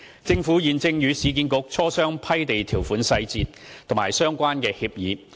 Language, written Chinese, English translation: Cantonese, 政府現正與市建局磋商批地條款細節及相關協議。, The Government and URA are negotiating the detailed terms of the land grant and the relevant agreement